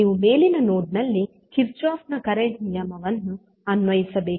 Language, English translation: Kannada, You have to apply the Kirchhoff current law at the top node